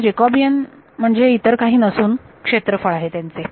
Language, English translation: Marathi, So, the Jacobian is nothing but the area of